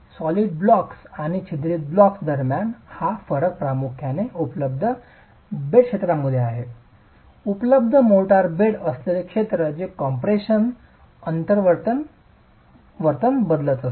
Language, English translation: Marathi, So, between the solid blocks and the perforated blocks, this difference is primarily due to the available bedded area, available motor bedded area that changes the behavior under compression itself